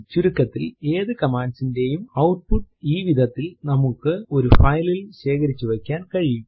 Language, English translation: Malayalam, In fact we can store the output of any command in a file in this way